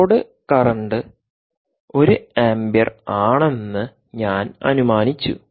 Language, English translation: Malayalam, i have assumed the load current to be one amp